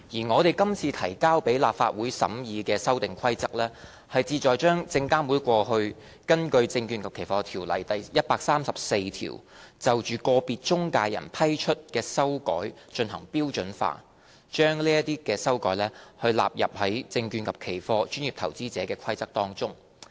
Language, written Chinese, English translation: Cantonese, 我們今次提交立法會審議的《2018年證券及期貨規則》，旨在把證監會過去根據《證券及期貨條例》第134條就個別中介人批出的修改進行標準化，以及把這些修改納入《證券及期貨規則》。, The Amendment Rules that we have tabled for the Legislative Councils scrutiny is to standardize the modifications granted by SFC to individual intermediaries under section 134 of the Securities and Futures Ordinance over the years by incorporating such modifications into the Securities and Futures Rules